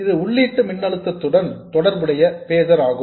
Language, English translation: Tamil, This is the phaser corresponding to the input voltage